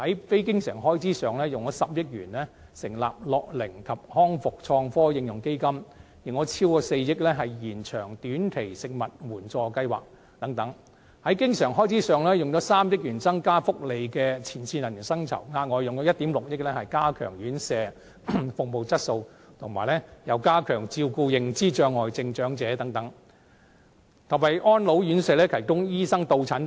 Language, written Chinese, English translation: Cantonese, 非經常性開支方面，以10億元成立樂齡及康復創科應用基金、以超過4億元延長短期食物援助服務計劃等；在經常性開支方面，以3億元增加福利界前線人員的薪酬、額外以1億 6,000 萬元加強院舍服務質素，加強照顧認知障礙症長者及為安老院舍提供醫生到診服務等。, In terms of non - recurrent expenditure 1 billion is allocated for setting up the Innovation and Technology Fund for Application in Elderly and Rehabilitation Care; and 400 million is allocated for extending the Short - term Food Assistance Service Projects . In terms of recurrent expenditure 300 million is allocated for increasing the salaries of frontline personnel of the welfare sector; and an additional 160 million is allocated for enhancing the service quality of residential care homes and strengthening the care for elderly persons suffering from dementia as well as providing visiting doctor services for residential care homes